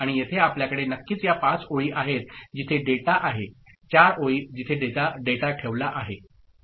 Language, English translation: Marathi, And here we have got of course these five rows, where data is four rows, where data is put ok